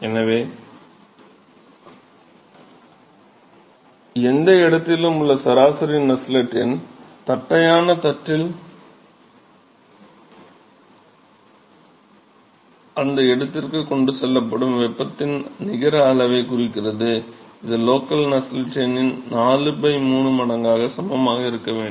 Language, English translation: Tamil, So, therefore, we can actually say that the average Nusselt number at any location which signifies the net amount of heat that is transported till that location in the flat plate that should be equal to 4 by 3 times the local Nusselt number